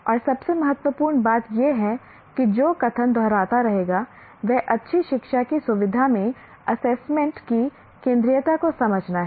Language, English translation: Hindi, And most importantly, which we'll keep repeating the statement, understand the centrality of assessment in facilitating good learning